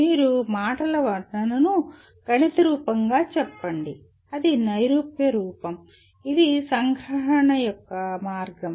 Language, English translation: Telugu, You convert let us say verbal description into a mathematical form, that is abstract form, that is one way of summarization